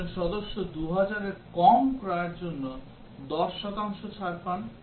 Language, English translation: Bengali, A member gets 10 percent discount for purchase less than 2000